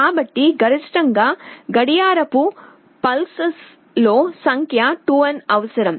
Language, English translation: Telugu, So, the maximum number of clock pulses required maybe 2n